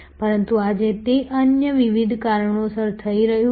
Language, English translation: Gujarati, But, today it is happening due to various other reasons